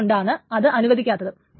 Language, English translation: Malayalam, So that is why this is not allowed